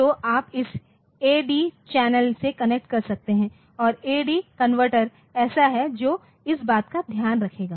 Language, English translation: Hindi, So, you can connect to this A/D channel and A/D converter is there so, which will be taking care of that